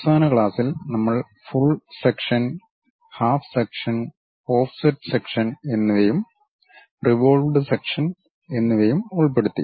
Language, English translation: Malayalam, In the last class, we have covered full section, half section and offset section and also revolved sections